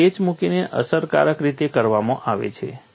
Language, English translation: Gujarati, That is done effectively by putting a patch